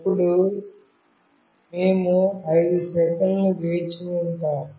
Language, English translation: Telugu, Then we will wait for 5 seconds